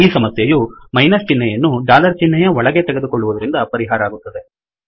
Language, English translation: Kannada, It is solved by taking the minus sign inside the dollar